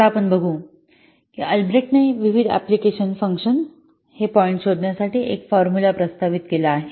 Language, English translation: Marathi, Now what we'll see that Albreast has proposed a formula for finding out the function point of different applications